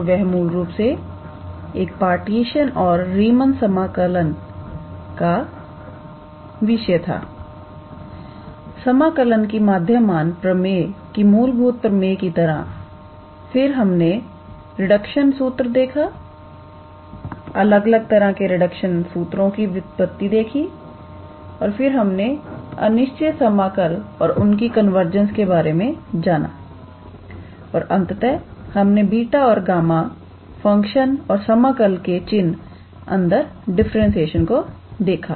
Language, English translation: Hindi, So, they were basically – a partition and concept of Riemann integral, as a fundamental theorem of integral calculus mean value theorems, then we looked into a reduction formula, derivation of different types of reduction formula, then we also looked into improper integral and their convergence and finally, we looked into beta and gamma functions and differentiation under the integral sign